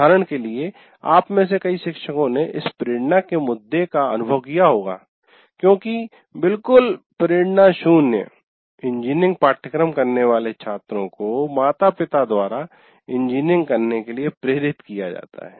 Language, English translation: Hindi, Now, for example, this motivation issue many of you teachers would have experienced because students with absolutely zero motivation engineering are pushed by the parents to do engineering